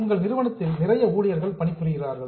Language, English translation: Tamil, We have got a lot of employees working in our company